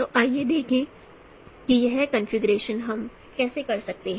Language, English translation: Hindi, So let us see how this computation we can do